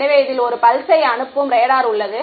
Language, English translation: Tamil, So, it has a radar it sends a pulse right